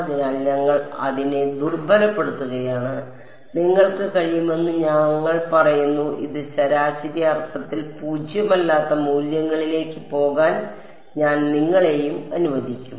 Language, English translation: Malayalam, So, we are weakening it we are saying you can I will allow you too have it go to non zero values in a average sense